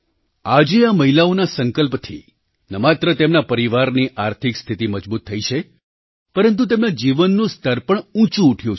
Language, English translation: Gujarati, Today, due to the resolve of these women, not only the financial condition of their families have been fortified; their standard of living has also improved